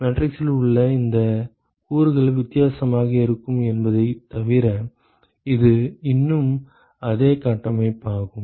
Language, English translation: Tamil, It is still the same framework except that these elements inside the matrix is going to be different